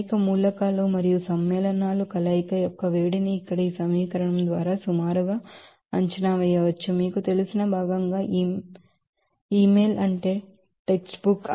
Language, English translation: Telugu, So, the heat of fusion of many elements and compounds can be roughly estimated by this equation here as part you know, email, that is text book